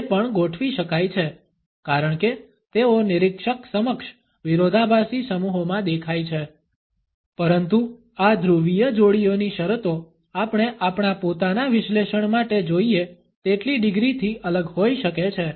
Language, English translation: Gujarati, It can also be arranged as they appear before the observer in contrastive sets, but the terms of these polar pairs can differ by as many degrees is we want for our own analysis